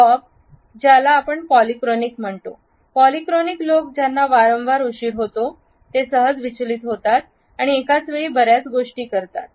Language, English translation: Marathi, Bob is what we call polyphonic, polyphonic people are frequently late and are easily distracted and do many things at once